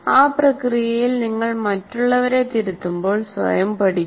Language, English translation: Malayalam, When you are correcting others in that process also, one would learn